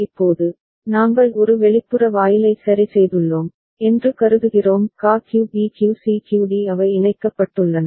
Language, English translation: Tamil, Now we consider that we have put an external gate ok; QA QB QC QD they are connected